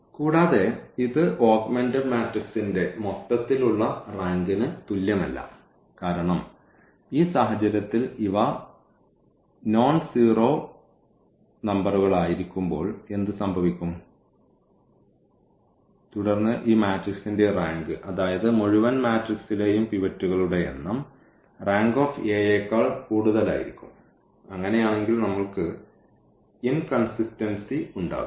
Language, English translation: Malayalam, And, it is not equal to the rank of the whole this augmented matrix because in this situation what will happen when these are the nonzero numbers then this rank of this whole matrix; that means, the number of pivots in the whole matrix will be equal to I will be more than the rank of A and in that case then we have the inconsistency